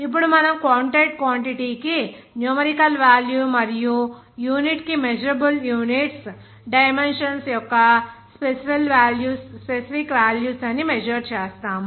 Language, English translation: Telugu, Now we measure co counted quantity has a numerical value and unit that measurable units are specific values of dimensions